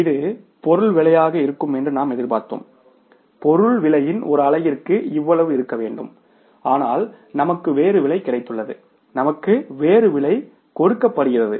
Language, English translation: Tamil, We expected this much should be the material price, per unit of the price of material should be this much but we have got the different price